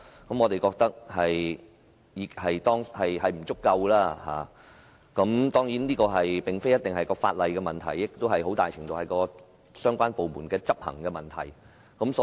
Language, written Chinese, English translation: Cantonese, 我覺得當局在這方面的工作並不足夠，而這並不一定是因為法例有問題，很大程度是由於相關部門的執行問題所致。, I think that the authorities have not done enough in this respect but that is not necessarily related to problems with the law . To a very large extent that is attributed to the implementation problems by the departments concerned